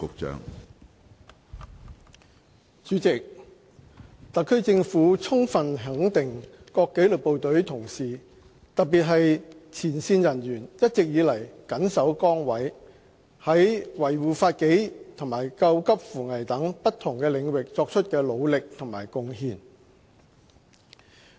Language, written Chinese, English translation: Cantonese, 主席，特區政府充分肯定各紀律部隊同事，特別是前線人員一直以來緊守崗位，在維護法紀和救急扶危等不同領域所作的努力和貢獻。, President the Government fully recognizes the efforts and contribution of colleagues in the disciplined services especially those on the front line who have all along stayed committed to their duties upholding law and order as well as rescuing people in distress